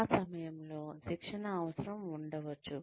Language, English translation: Telugu, At that point, the training need may be there